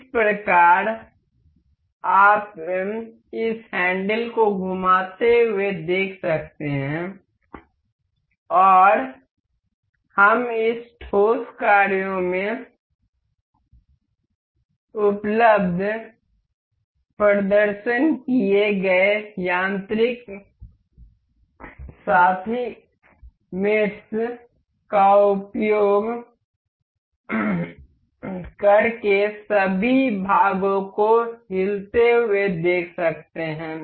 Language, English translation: Hindi, So, that you can see as you rotate this handle and we can see all of the parts moving using all using the demonstrated mechanical mates available in this solid works